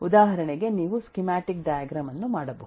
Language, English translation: Kannada, For example you could eh just do a schematic diagram